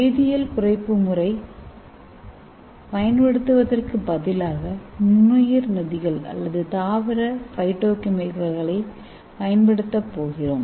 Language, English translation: Tamil, Instead of using the chemical reducing agent we are going to use microbial enzymes or plant phytochemicals